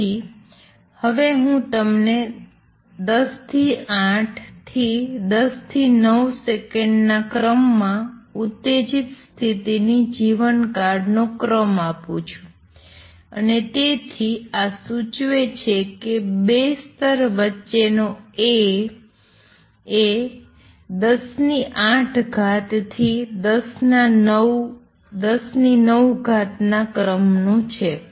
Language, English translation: Gujarati, So, let me give you now the order the lifetime of an excited status of the order of 10 raise to minus 8 to 10 raise to minus 9 seconds and therefore, this implies A between 2 levels is of the order of 10 raise to 8 to 10 raise to 9